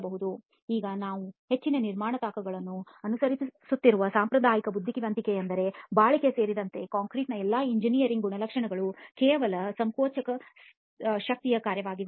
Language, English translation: Kannada, Now the conventional wisdom as we follow in most construction sites is that all engineering properties of the concrete including durability are just a function of the compressive strength